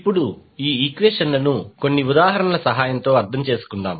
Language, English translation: Telugu, Now, let us understand these particular equations with the help of few examples